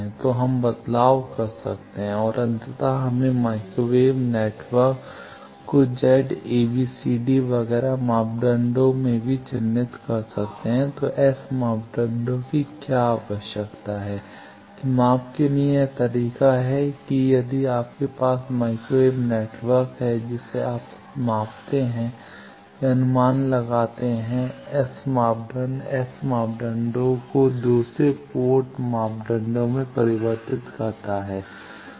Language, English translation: Hindi, So, we can interchange and ultimately we can characterize a microwave network in terms of Z parameters also a, b, c, d parameters also etcetera then what is the need of S parameter that for measurement this is the way that if you have a microwave network you either measure or estimate the S parameter convert S parameter to other 2 port parameters